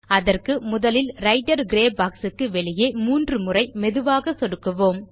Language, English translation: Tamil, For this, let us first click outside this Writer gray box three times slowly